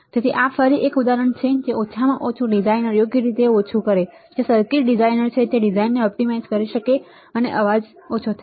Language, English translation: Gujarati, So, this is just again an example that at least minimize the designer right, who is circuit designer can optimize the design such that the noise is minimized